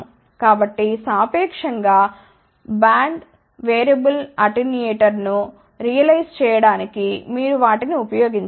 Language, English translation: Telugu, So, you can use those things to realize a relatively broad band variable attenuator